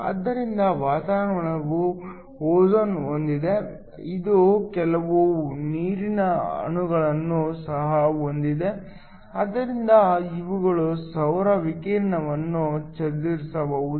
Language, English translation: Kannada, So, The atmosphere has ozone; it also has some water molecules so these can scatter the solar radiation